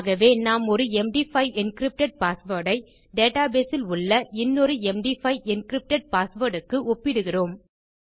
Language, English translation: Tamil, So we are comparing an md5 encrypted password to an md5 encrypted password in our database